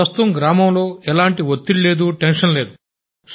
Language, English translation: Telugu, Now there is no tension in the whole village